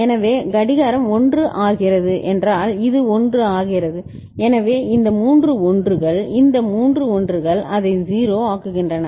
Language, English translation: Tamil, So, clock becoming 1 means this is becoming 1, so these three 1s, these three 1s make it 0